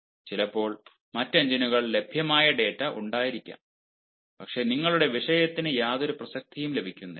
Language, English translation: Malayalam, sometimes, ah, there may be data which are available on other engines, but then your topic there has no, there has got no relevance at all